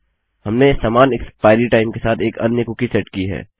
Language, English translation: Hindi, Weve set another cookie with the same expiry time